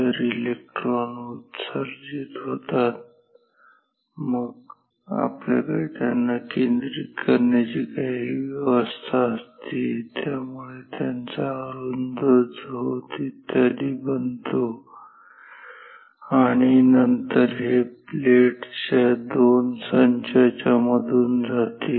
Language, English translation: Marathi, So, electrons are emitted then we have some arrangement to focus it make it a narrow beam etcetera and then this essentially passes through 2 sets of plates ok